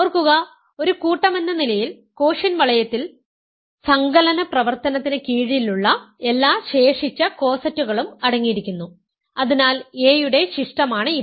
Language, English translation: Malayalam, Remember, the quotient ring as a set consists of all left cosets under the operation of addition, so residue of a is this